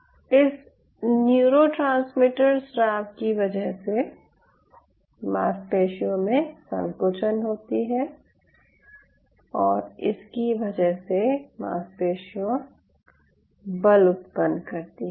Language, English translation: Hindi, those neurotransmitter secretion will lead to muscle contraction, further lead to muscle force generation